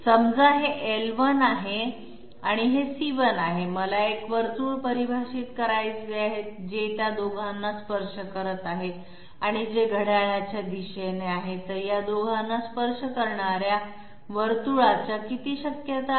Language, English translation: Marathi, Suppose this is L1 and this is C1, I want to define a circle which is touching both of them and which is clockwise, so how many possibilities are there of a circle touching these 2